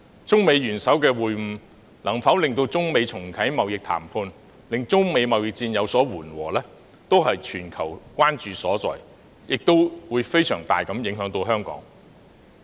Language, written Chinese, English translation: Cantonese, 中美元首會晤，能否令中美重啟貿易談判，令中美貿易戰有所緩和，是全球關注所在，對香港的影響亦會非常大。, Whether the meeting of the heads of China and the United States can reactivate the trade negotiations between the two countries thereby alleviating the China - United States trade war is a global concern . It will also mean enormous implications to Hong Kong